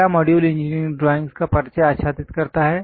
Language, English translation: Hindi, The first module covers introduction to engineering drawings